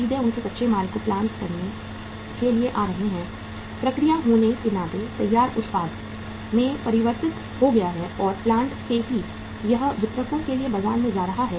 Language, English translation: Hindi, Straightaway their raw material is coming to plant, being process, converted into finished product and from the plant itself it is going to the market to the distributors